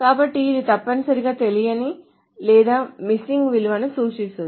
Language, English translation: Telugu, So it essentially denotes an unknown or a missing value